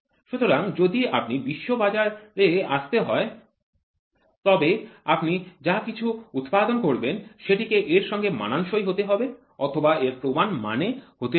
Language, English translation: Bengali, So if has to be into the global market then whatever you produce should match or should need a standard